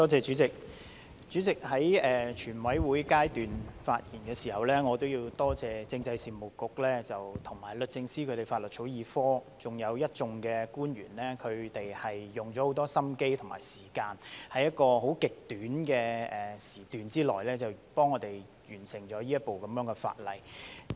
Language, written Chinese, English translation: Cantonese, 主席，在全體委員會審議階段發言時，我要多謝政制及內地事務局和律政司法律草擬科，還有一眾官員花了很多心機和時間，在極短的時段內替我們完成這項法例。, Chairman as I am speaking at the Committee stage I would like to express my gratitude to the Constitutional and Mainland Affairs Bureau and the Law Drafting Division of the Department of Justice as well as the many government officials for having spent a lot of efforts and time to complete this piece of legislation within an extremely tight time frame